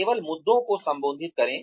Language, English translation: Hindi, Address only the issues